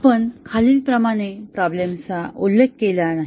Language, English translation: Marathi, We did not mention the problem as follows